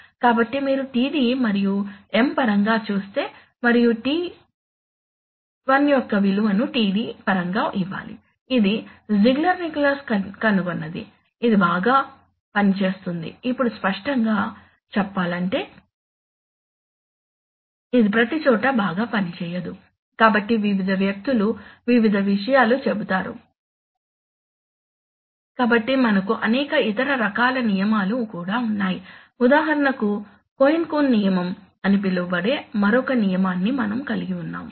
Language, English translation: Telugu, so you see in terms of td and M and the value of the value of TI should be given in terms of td, this is what Ziegler Nichols found works well, now obviously it will not work well everywhere, so various people will say various, so we have various other kinds of rules also for example we can have a, we can have another rule which is known as the cohen coon rule